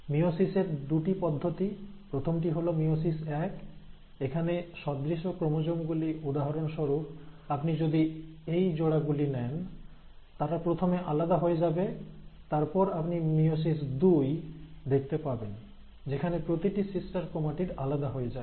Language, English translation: Bengali, Now, so again meiosis has two processes; first is meiosis one; in meiosis one, these homologous chromosomes, for example you take this pair and this pair, they will first get separated and then you will have meiosis two, in which each of the sister chromatids will get separated